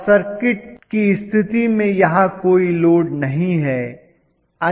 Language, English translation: Hindi, Under short condition I am not having any load here